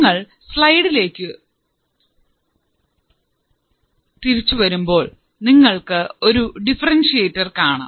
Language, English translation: Malayalam, So, now if you can come back on the on the slide, what you see is a differentiator